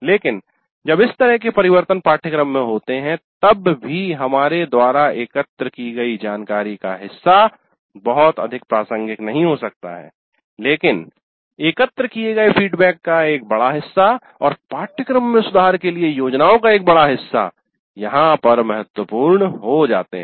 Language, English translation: Hindi, But even when such changes occur in the course, part of the information that we have collected may not be very much relevant, but a substantial part of the feedback collected, a substantial part of the plans for improving the course, there will remain relevant